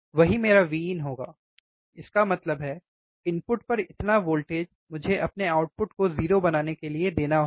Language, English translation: Hindi, That will be my V in; that means, this much voltage at the input I have to apply to make my output 0, easy right